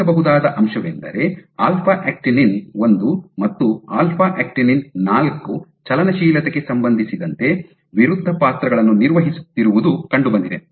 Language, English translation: Kannada, What has been observed is alpha actinin 1 and alpha actinin 4 have been found to play opposite roles with regards to motility